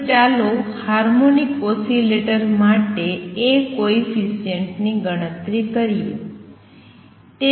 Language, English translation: Gujarati, Now, let us see come to calculation of A coefficient for a harmonic oscillator